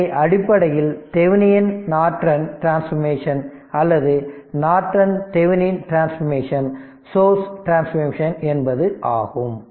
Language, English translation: Tamil, So, basically Thevenin’s Norton transformation or Norton Thevenin’s transformation right source transformation is so